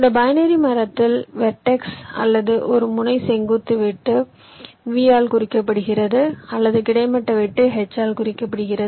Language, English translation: Tamil, in this binary tree, the vertex, or a node, represents either a vertical cut, represent by v, or a horizontal cut, represented by h